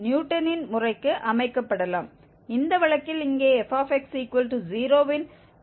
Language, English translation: Tamil, This g k can be set for the Newton's method and in this case here, let s be the root of f x equal to 0